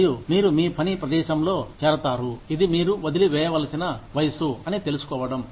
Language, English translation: Telugu, And, you join your place of work, knowing that, this is the age at which, you will be required to leave